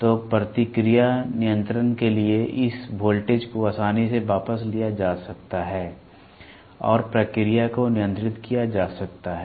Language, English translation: Hindi, So, this voltage can be easily taken back for a feedback control and the process can be controlled